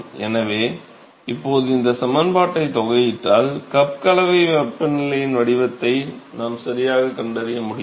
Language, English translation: Tamil, So, now, if we integrate this expression, we should be able to find the profile of the cup mixing temperature right